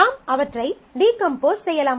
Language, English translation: Tamil, So, you can decompose them in terms of